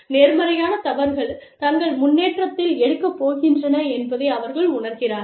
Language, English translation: Tamil, And, they realize that, honest mistakes, are going to be taken, in their stride